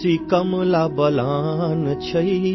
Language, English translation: Hindi, Koshi, Kamla Balan,